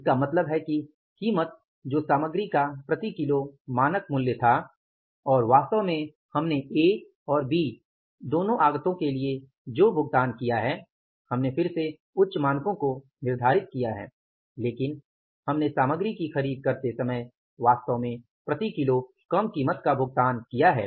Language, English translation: Hindi, It means price which was the standard price per KG of the material and what actually we have paid for both the inputs A and B we had again set the higher standards but we have paid the actually less price while purchasing a material per KG and as a result of that we have got here the favorable variance of 376